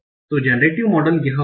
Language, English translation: Hindi, Remember this generative model